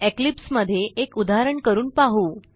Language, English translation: Marathi, Now, let us try out an example in Eclipse